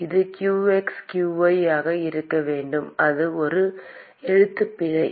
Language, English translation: Tamil, It should be qx, qy; it is a typo